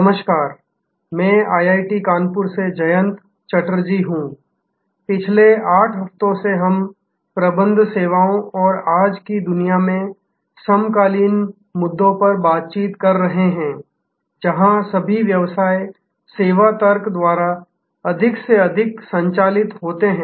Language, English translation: Hindi, Hello, this is Jayanta Chatterjee from IIT Kanpur, for last 8 weeks we have been interacting on Managing Services and the contemporary issues in today’s world, where all businesses are more and more driven by the service logic